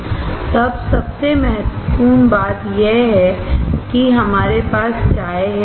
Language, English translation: Hindi, [FL] Then most importantly we have tea